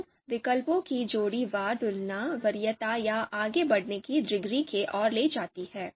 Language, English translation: Hindi, So pairwise comparison of alternatives you know lead to you know preference or outranking degree